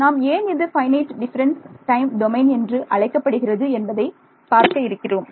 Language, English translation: Tamil, So, we will see why we called that finite difference time domain